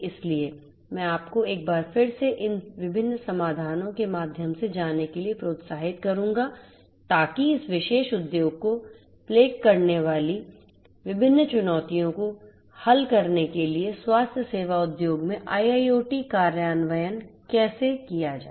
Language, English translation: Hindi, So, I would encourage you once again to go through these different solutions to get an understanding about how IIoT implementation has been done in the healthcare industry to solve different challenges that plague this particular industry